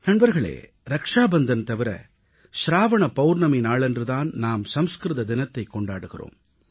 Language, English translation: Tamil, Friends, apart from Rakshabandhan, ShravanPoornima is also celebrated as Sanskrit Day